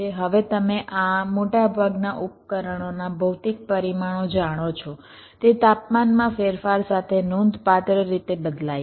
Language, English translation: Gujarati, now you know that the physical parameters of this most devices they very quit significantly with changes in temperature